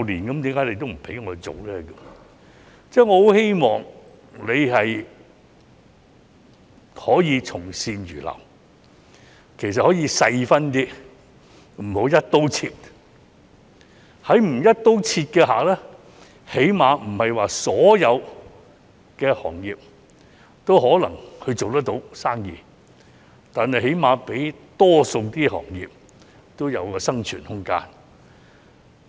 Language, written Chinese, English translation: Cantonese, 我希望局長同樣可以從善如流，其實可以按實際情況細分，不要"一刀切"，如此的話，即使不是所有行業也能做生意，但至少能給予多個行業生存的空間。, I hope that the Secretary can also heed our advice this time . Really it is advisable to break down the whole task into smaller ones according to the actual situation rather than adopt an across - the - board approach . This way quite a lot of sectors will have the room for survival at least even though not all sectors can go on doing business